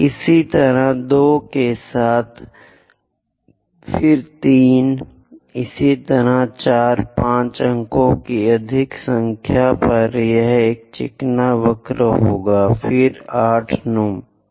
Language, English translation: Hindi, Similarly, 2 with the 2, then 3; similarly 4, 5, more number of points it will be smooth curve, then 8 and 9